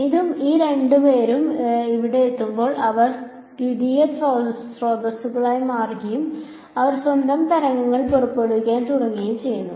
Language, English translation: Malayalam, When it hits over here this and these two guys they become like secondary sources and they start emitting their own waves